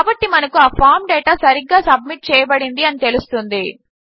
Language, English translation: Telugu, Ok so, we know that the form data has been submitted correctly